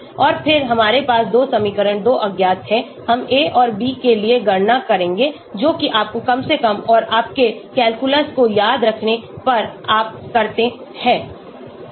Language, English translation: Hindi, And then we have 2 equations, 2 unknowns, we will calculate for a and b that is what you do if you remember minimization and your calculus